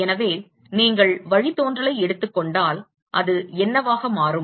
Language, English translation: Tamil, So, if you take the derivative that is what it will turn out to be